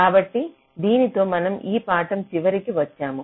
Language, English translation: Telugu, ok, so with this we come to the end of this lecture